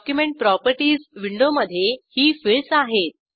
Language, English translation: Marathi, Document properties window has the following fields